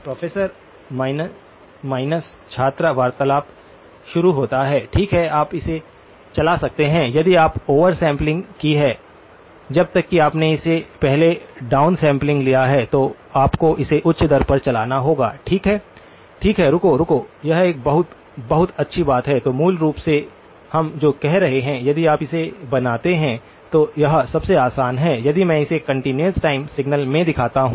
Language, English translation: Hindi, “Professor minus student conversation starts” Well you can run it if you have done the over sampling unless you have done the down sampling all before doing it you would have to run it at a higher rate okay, okay, wait, wait that is a very, very good point so basically, what we are saying is; you create so it is like this easiest if I show it to you in a continuous time signal